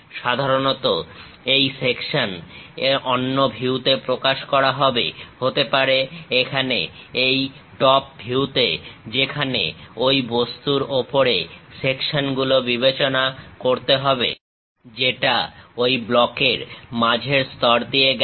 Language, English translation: Bengali, Usually the section will be represented in other view, may be here in the top view, where section has to be considered on that object which is passing at the middle layers of that block